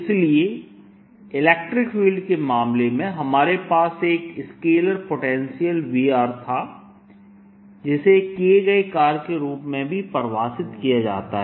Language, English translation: Hindi, so in the case of electric field we had a scalar potential, v r, which is also interpreter as the work done in the case of magnetic field